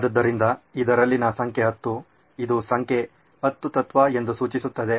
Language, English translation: Kannada, So this is the number 10 in this signifies that this is the number 10 principle